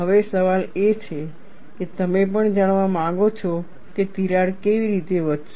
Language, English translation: Gujarati, Now, the question is, you also want to know how the crack would grow